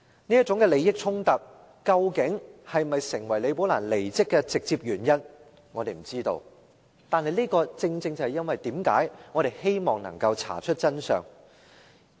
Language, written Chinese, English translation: Cantonese, 這種利益衝突究竟是否構成李寶蘭離職的直接原因，我們不知道，但這正正是我們希望能夠查出真相的原因。, We do not know whether this conflict of interests directly constituted the reason for Ms Rebecca LIs departure but this is exactly why we wish to find out the truth